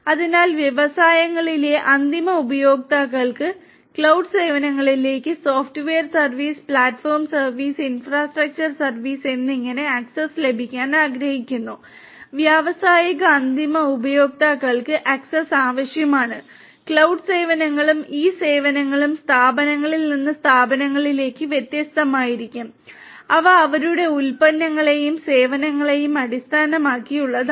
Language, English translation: Malayalam, So, end users in the industries would like to get access to the cloud services whether it is Software as a Service, Platform as a Service, Infrastructure as a Service, they need the industrial end users need access to the cloud services and these services will differ from firm to firm and are based on their products and services